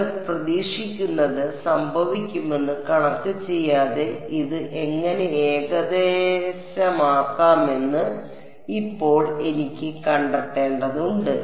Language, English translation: Malayalam, And now I have to figure out how do I approximate this, again without doing the math what do you expect will happen